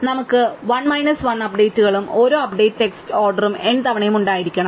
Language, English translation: Malayalam, So, we have to n minus 1 updates and each update takes order n times